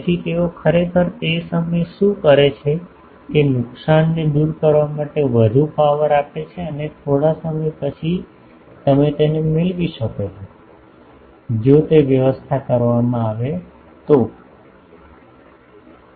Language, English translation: Gujarati, So, what they do actually that time the pump more power to overcome that loss and then after some time you can get it, if they that is manageable etc